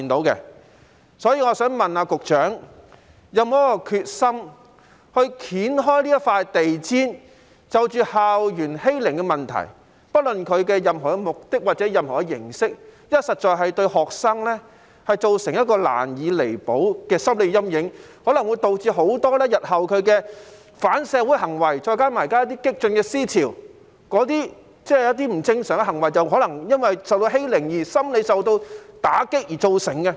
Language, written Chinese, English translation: Cantonese, 因此，我想問局長有否決心揭開這塊地氈，就着校園欺凌的問題，不論它的目的或形式，因為這實在會對學生造成一個難以彌補的心理陰影，亦可能會導致日後的反社會行為，再加上現時一些激進思潮，一些不正常行為可能是由於曾受欺凌、心理受到打擊所造成。, Therefore I would like to ask the Secretary whether he is determined to lift the carpet to uncover the school bullying problem regardless of its purpose or form because this will leave a shadow in students lives which can hardly be removed and may lead to anti - social behaviour in the future . Coupled with some current radical thinking the experience of being bullied and psychological trauma may result in some abnormal behaviour